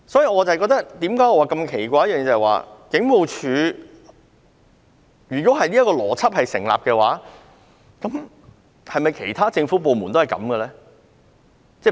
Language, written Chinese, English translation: Cantonese, 我感到奇怪的是，如果這個邏輯成立，是否其他政府部門也如此運作呢？, If this logic stands I am wondering if other government departments work in this way too